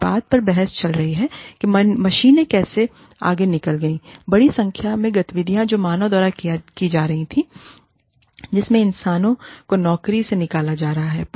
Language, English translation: Hindi, There is a debate going on about, how machines have overtaken, a large number of activities, that were being performed by human beings, thereby putting human beings, out of jobs